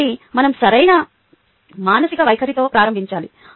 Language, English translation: Telugu, so we have to begin with the right mental attitude